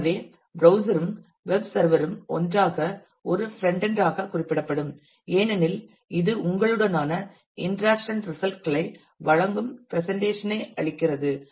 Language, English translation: Tamil, So, the browser and the web server together often would be refer to as a frontend because that gives a presentation that presents the results the interaction to you